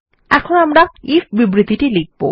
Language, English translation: Bengali, Now, I will type my if statement